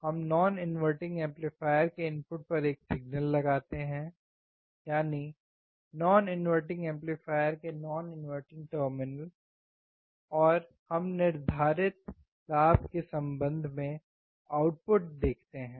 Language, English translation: Hindi, , non inverting terminal of the non inverting amplifier, and we will see the corresponding output with respect to the gain we have set